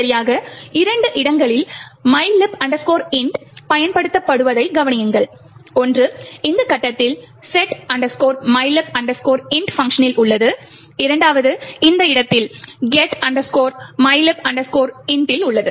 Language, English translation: Tamil, Notice that a mylib int is used in exactly two locations, one is at this point over here in function setmylib int and the second one is at this location getmylib int